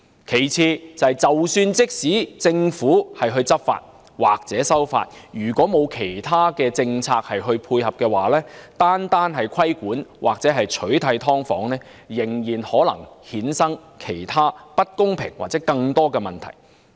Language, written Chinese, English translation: Cantonese, 第二，政府即使執法或修例，如果沒有其他政策配合，單靠規管或取締"劏房"仍然可能衍生其他不公平的情況或更多問題。, Second even if the Government takes law enforcement actions or introduces legislative amendments regulating or banning subdivided units alone in the absence of other complementary policies may still lead to other unfair situations or bring about even more problems